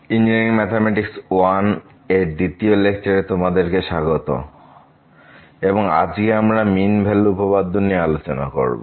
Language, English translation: Bengali, So, welcome to the second lecture on Engineering Mathematics – I and today, we will discuss Mean Value Theorems